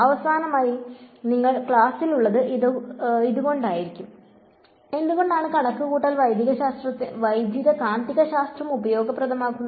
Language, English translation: Malayalam, And finally, this is probably why you are in the class, why is computational electromagnetics useful